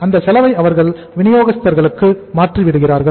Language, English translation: Tamil, So they are passing on the inventory cost to the suppliers